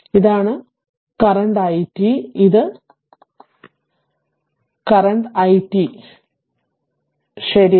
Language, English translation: Malayalam, And this is the current i t this is the current i t right